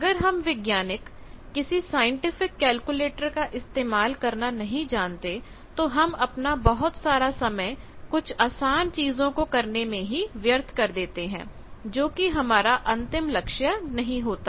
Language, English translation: Hindi, If we scientist do not know how to use scientific calculators then lot of time we waste for doing simple things which is not our aim